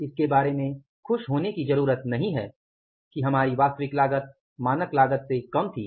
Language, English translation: Hindi, There is no need to feel happy about it that our actual cost was less than the standard cost